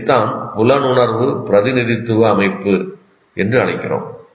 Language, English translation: Tamil, This is what we call perceptual representation system